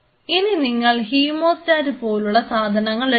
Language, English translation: Malayalam, Now, you take a hemostat kind of things clippers